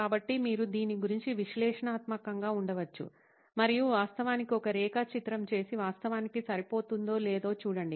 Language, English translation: Telugu, So you can be analytical about this and actually do a plot and see if it actually matches up